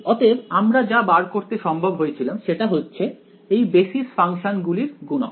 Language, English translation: Bengali, So, what we ended up finding out were the coefficients of these basis functions right